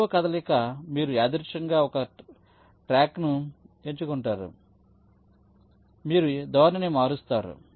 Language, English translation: Telugu, the third move says you pick up a block at random, you change the orientation